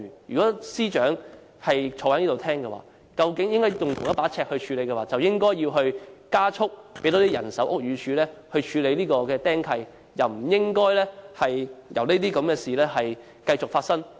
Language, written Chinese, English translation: Cantonese, 如果政府當局採用同一把尺，便應加快增加屋宇署的人手，以處理"釘契"問題，不應任由這些事情繼續發生。, If the Administration adopts the same yardstick it should expeditiously increase the manpower of the Buildings Department to deal with the encumbrances instead of allowing similar problems to recur